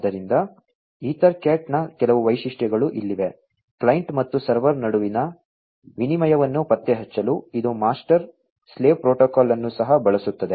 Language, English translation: Kannada, So, here are some of the features of EtherCat, here also it uses the master slave protocol for detects exchange between the client and the server